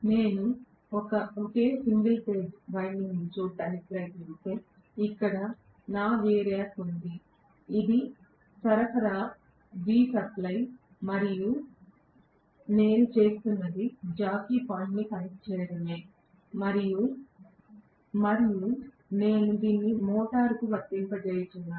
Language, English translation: Telugu, So, I am going to have actually, if I try to look at just one single phase winding, here is my variac, this is the power supply right, so this is V supply and what I am doing is to connect a jockey point and then I am going to have this applied to the motor right